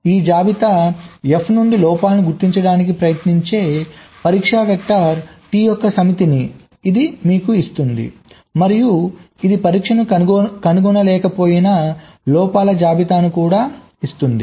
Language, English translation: Telugu, what this tool will give you as output: it will give you a set of test vectors, t that tries to detect faults from this list f, and also it will give you ah list of the faults for which it was not able to find ah test